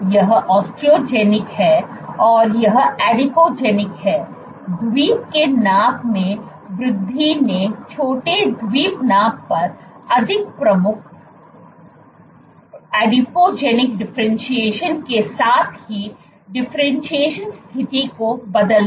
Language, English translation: Hindi, this is Osteogenic and this is adipogenic; increase in Island size switched the differentiation status with a more prominent adipogenic differentiation on small Island size